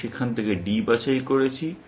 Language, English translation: Bengali, I have picked D from there